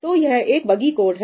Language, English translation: Hindi, So, this is the buggy code